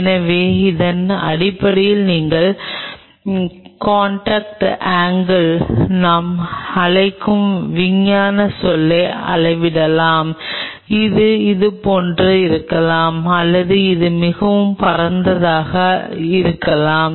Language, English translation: Tamil, So, based on that you measure the scientific term what we call as the contact angle maybe like this it maybe like this or it may be very broad like this